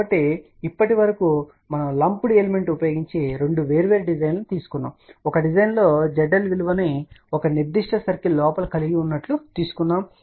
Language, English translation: Telugu, So, so far we have taken two different design using lumped element in one design we had the Z L value inside this particular circle